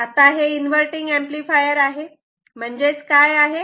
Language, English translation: Marathi, Now this is inverting amplifier means what